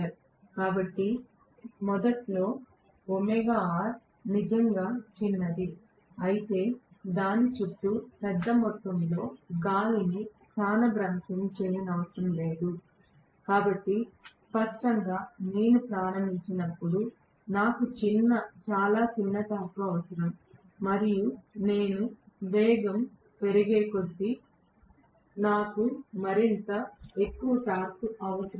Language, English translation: Telugu, So, if omega r is really really small initially it does not have to displace a large amount of air surrounding it, so obviously when I start I will require very small torque and as I go up the speed, I will require more and more torque